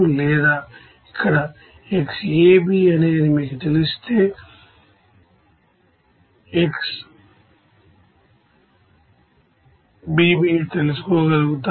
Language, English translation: Telugu, Or if you know that xA,B here will be able to know what should be the xB,B